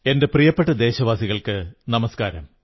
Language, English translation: Malayalam, My dearest countrymen namaskar